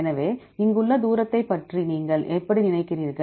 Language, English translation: Tamil, So, how do you think about the distance here